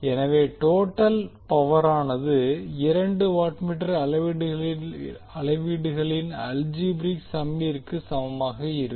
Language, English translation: Tamil, So the total power will be equal to the algebraic sum of two watt meter readings